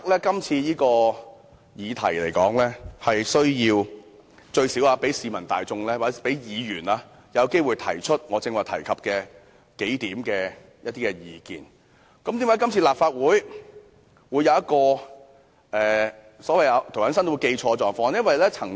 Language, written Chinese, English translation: Cantonese, 今次這項"察悉議案"最少讓市民大眾和議員有機會提出我剛才提出的數點意見，為何這次立法會竟然出現連涂謹申議員也有誤解的情況？, This take - note motion at least provides an opportunity for the general public and Members to raise some views I just mentioned . How come even Mr James TO has such a misunderstanding?